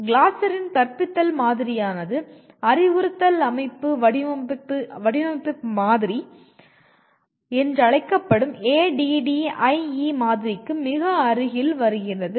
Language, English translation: Tamil, So broadly I feel the Glasser’s model of teaching comes pretty close to what we are talking about the other one called instructional model, instructional system design model what we call ADDIE